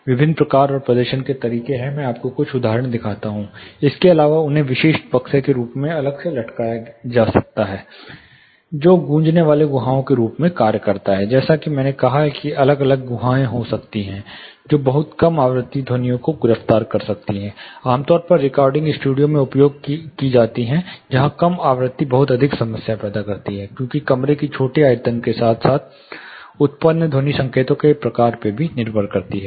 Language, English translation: Hindi, There are different types and the performance whereas, I show you some examples apart from this they can also be separately suspended in the form of specific boxes, which act as resonating cavities; are like I said it can be individual cavities which can arrest, you know very low frequency sounds, typically used in recording studios, where low frequency creates a lot of problem, because of the smaller volume of the room as well as a type of sound signals which are generated